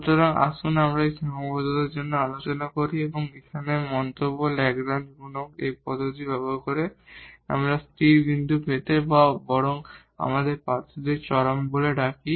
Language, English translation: Bengali, So, anyway let us discuss for this one very one constraint and the remark here that using this method of Lagrange multiplier, we will obtain the stationary point or rather we call the candidates for the extrema